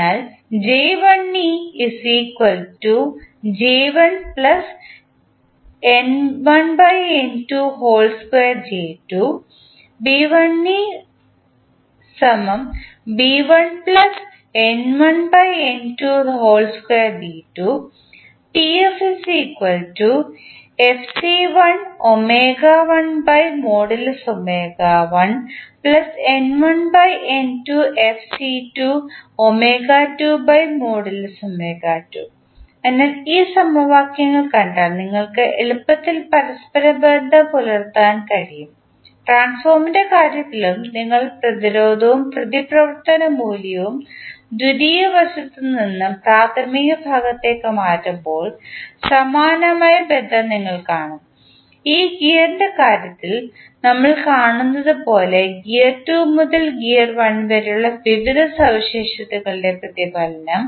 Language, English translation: Malayalam, So, if you see these equations you can easily correlate, in case of transformer also when you transfer the resistance and reactance value from secondary side to primary side you will see similar kind of relationship, as we see in this case of gear, the reflection of the various properties from gear 2 to gear 1